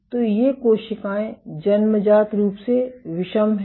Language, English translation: Hindi, So, these cells are innately heterogeneous